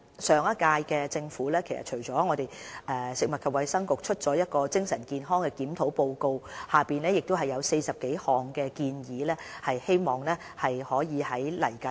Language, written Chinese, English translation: Cantonese, 上屆政府的食物及衞生局發表了精神健康檢討報告，提出40多項建議，我們希望未來可以實行相關建議。, We intend to carry out the more than 40 recommendations put forth in the Mental Health Review Report published by the Food and Health Bureau of the last - term Government